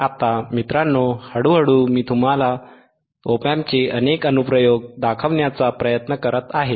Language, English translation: Marathi, Now guys you see slowly and gradually I am trying to show you several applications